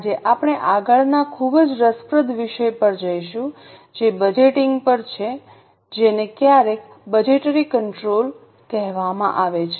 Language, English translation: Gujarati, Today we will go to next very interesting topic that is on budgeting, sometimes called as budgetary control